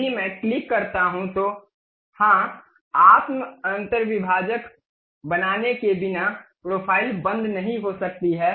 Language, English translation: Hindi, If I click yes the profile could not be close without creating self intersecting ok